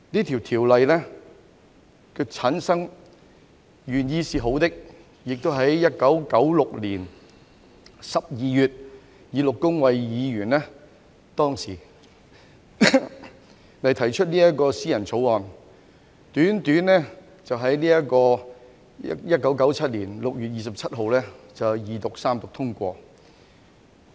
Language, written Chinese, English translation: Cantonese, 《條例》由前議員陸恭蕙在1996年12月以私人條例草案形式提出，短時間內完成審議，在1997年6月27日經二讀及三讀通過。, The Ordinance was introduced as a private bill by former Member Miss Christine LOH in December 1996 . It underwent scrutiny in a short period of time and passed through the Second and Third Readings on 27 June 1997